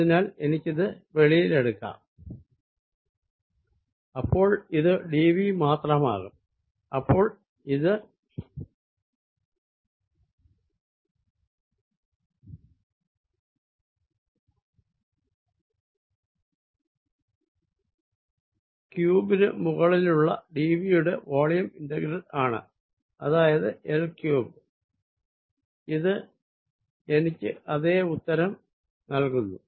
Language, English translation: Malayalam, its going to be only d v, which is where the d v is the volume integral over the cube, which is l cubed, it gives me the same answer